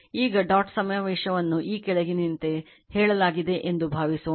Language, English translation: Kannada, Now, question is that suppose dot convention is stated as follows